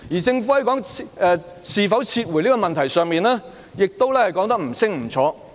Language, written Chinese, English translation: Cantonese, 此外，在是否撤回修例這問題上，當局亦說得不清不楚。, Moreover on the question of whether or not to withdraw the Bill the authorities explanation was unclear